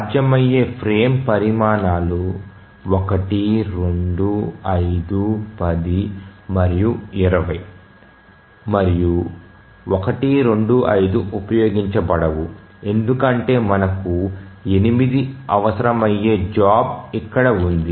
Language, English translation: Telugu, So, the possible frame sizes are 1, 2, 5, 10 and 20 and 1 to 5 cannot be used because we have a job here requiring 8